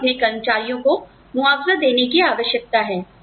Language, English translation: Hindi, We need to compensate our employees